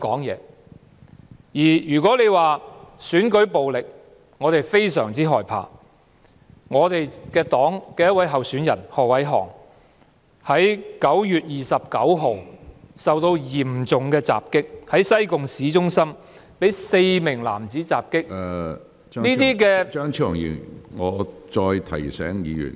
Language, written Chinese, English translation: Cantonese, 如果你說我們非常害怕選舉暴力，敝黨的一位候選人何偉航9月29日在西貢市中心便遭到4名男子襲擊，身受嚴重傷害。, If you say that we are very scared of election violence I can tell you that Stanley HO a candidate from my political party was attacked by four men in the town centre of Sai Kung on 29 September and was seriously injured